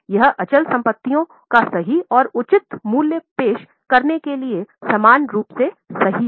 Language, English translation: Hindi, It is equally true to present the true and fair value of fixed assets